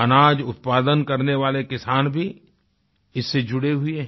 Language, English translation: Hindi, Farmers producing grains have also become associated with this trust